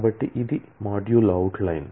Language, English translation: Telugu, So, this is a module out line